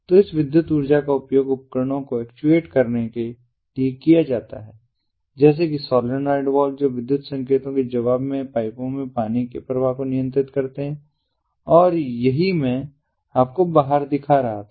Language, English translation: Hindi, so this electrical energy is used to actuate the equipment, such as the solenoid valve, which control the flow of water in pipes in response to electrical signals